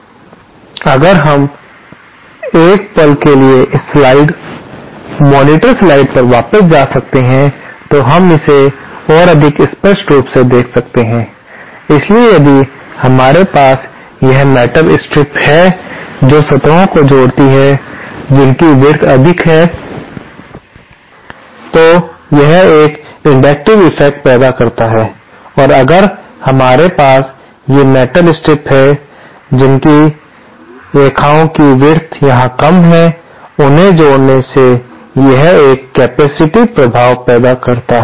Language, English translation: Hindi, Now if we can go back to this slide monitor slide for a moment here we can see that more clearly, so if we have this metal strips connecting the surfaces which have greater width, then this produces an inductive effect and if we have these metal strips connecting the services which have lesser width as shown here, than this produces a capacitive effect